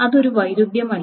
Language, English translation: Malayalam, So this is not a conflict